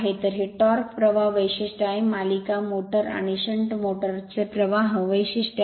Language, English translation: Marathi, So, this is the torque current character, your current characteristics of your series motor and shunt motor